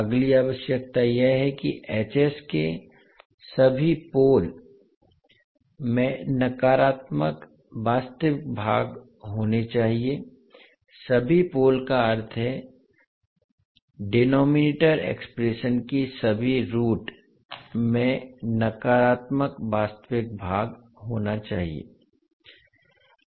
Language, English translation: Hindi, Next requirement is that all poles of Hs must have negative real parts, all poles means, all roots of the denominator expression must have negative real part